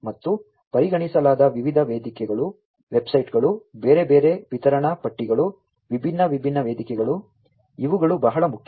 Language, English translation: Kannada, And also things like the different forums that are considered, websites, different other, you know, distribution lists, the different forums, these are very important